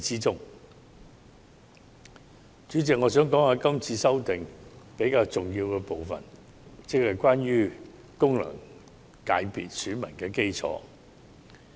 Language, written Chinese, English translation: Cantonese, 主席，我想談談今次修訂比較重要的部分，即功能界別選民基礎。, President I will now turn to discuss the electorate of FCs which is a more important part of this amendment exercise